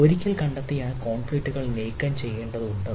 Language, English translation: Malayalam, then, once detected that ah, those conflicts need to be removed